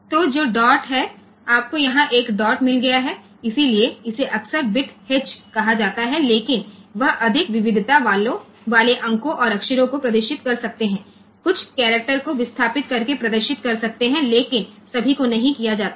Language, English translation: Hindi, So, which is the dot so, you have got a dot here, so that is often called the bit h, but so that can display the more variety of digits and letters some of the characters can be displaced displayed not all